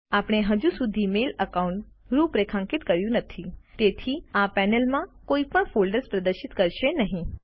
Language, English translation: Gujarati, As we have not configured a mail account yet, this panel will not display any folders now